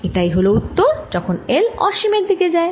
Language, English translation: Bengali, let's take the limit l going to infinity